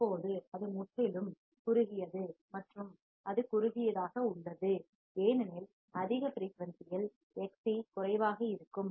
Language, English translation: Tamil, Now it is completely shorted and it is shorted because at high frequency Xc would be less